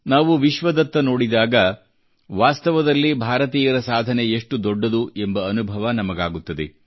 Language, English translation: Kannada, When we glance at the world, we can actually experience the magnitude of the achievements of the people of India